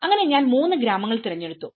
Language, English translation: Malayalam, So in that way, I have selected three villages